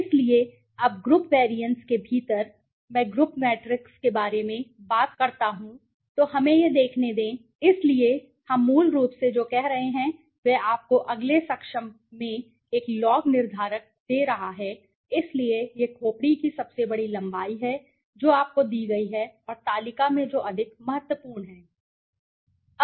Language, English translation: Hindi, So, within group covariance now when I talk about covariance matrices okay let us see this, so what we have basically doing it is giving you a log determinants in the next able right so this is the values greatest length of skull you know greatest all these are given to you and in the table which is more important